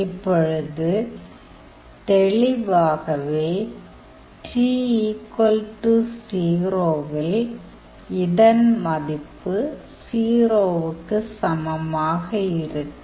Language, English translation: Tamil, Now er f of 0; obviously, at t equals 0, the value will be equals to 0